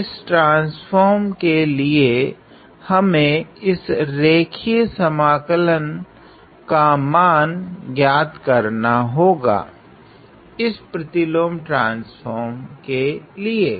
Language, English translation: Hindi, So, we are evaluating this line integral for this transform, for this inverse transform